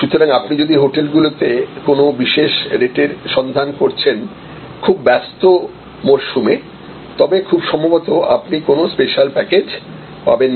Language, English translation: Bengali, So, if you are looking for a special price at a time on the hotel is very busy peek season, then it is a not likely that you will get a special package